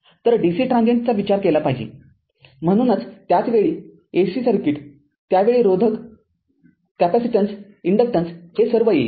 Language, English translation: Marathi, So, because we have to we have to consider dc transient, so that is that is why that at the same time while we consider ac circuit at that time resistance capacitance all this you what you call inductance all will come